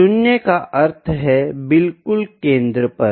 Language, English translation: Hindi, 0 means exactly at centre